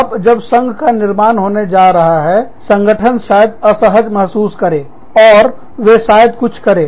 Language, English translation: Hindi, Now, when a union is going to be formed, the organization may feel, uncomfortable, and they may do, certain things